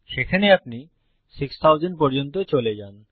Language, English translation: Bengali, There you go up to 6000